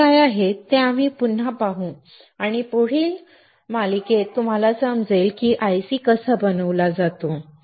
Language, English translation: Marathi, We will see what are masks again and in the following series that you will understand how the IC is fabricated